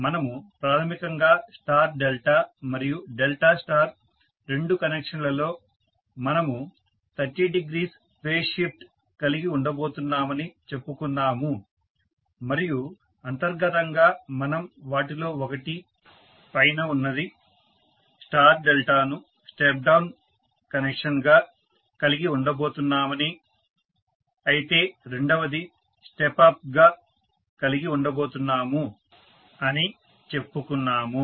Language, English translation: Telugu, We basically said that in star delta and delta star both connections we are going to have 30 degree phase shift and inherently we are going to have one of them that is the top one, star delta as a step down connection whereas the second one is going to be step up